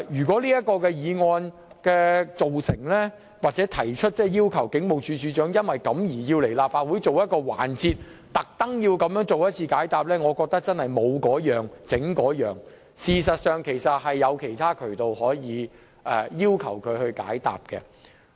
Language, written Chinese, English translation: Cantonese, 這項議案如獲通過，繼而傳召警務處處長前來立法會出席特設環節解答問題，我覺得真是"無嗰樣整嗰樣"，因為尚有其他渠道可以要求當局回應。, If this motion is passed with the subsequent summons of the Commissioner of Police to attend a special session of the Legislative Council for the sole purpose of answering questions I would consider this unnecessary and superfluous . This is because there are other channels through which we can ask the Administration to give a response